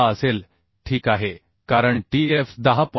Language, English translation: Marathi, 6 okay because tf is 10